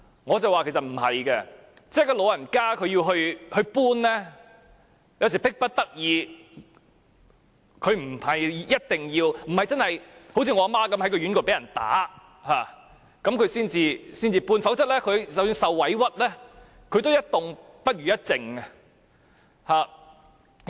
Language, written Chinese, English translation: Cantonese, 我說長者要搬遷其實是迫不得已的，他們不一定會這樣做，好像我的母親也是在院舍被人打才離開，否則即使受到委屈，她也寧願一動不如一靜。, And I said to him that elderly persons might not feel free to choose unless they were compelled by circumstances . Take my mother as an example . She would rather stay put in the same aged home than moving out despite being wronged not until she was beaten in the care home